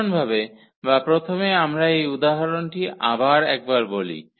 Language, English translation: Bengali, In general, or first let us talk about this example once again